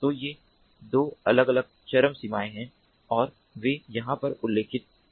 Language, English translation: Hindi, so these are the two different extremities and they are corresponding